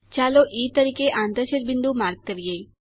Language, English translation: Gujarati, Let us mark the point of intersection as E